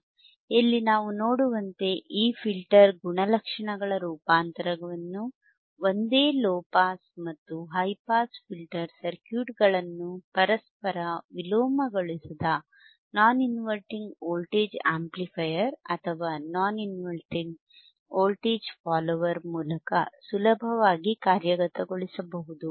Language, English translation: Kannada, Tthe transformation of this filter the transformation of these filter characteristics can be easily implemented using a single low pass and high pass filter circuits isolated from each other by non inverting voltage amplifier or non inverted voltage follower